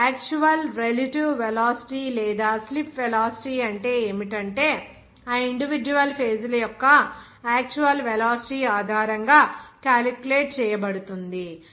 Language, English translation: Telugu, Now, what would be the actual relative velocity or slip velocity that to be calculated based on the, what is that, actual velocity of that individual phases